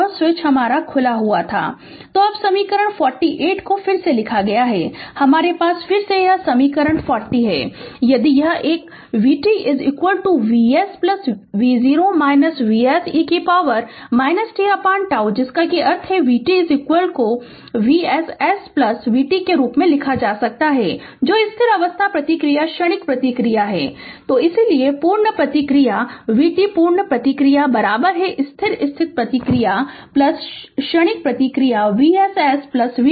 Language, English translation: Hindi, So, now equation 48 is rewritten as, we have again this equation 40 if this one v t is equal to V s plus V 0 minus V s e to the power minus t by tau, that means v t is equal to can be written as v s s plus v t that is your steady state response plus transient response